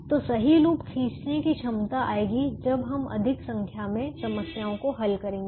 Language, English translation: Hindi, so the ability to draw the correct loop will come as we solve more number of problems